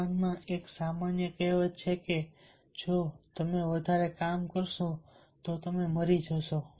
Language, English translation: Gujarati, in japan it is a common saying that if you do too much of work you will die